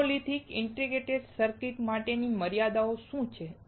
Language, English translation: Gujarati, What is a monolithic integrated circuit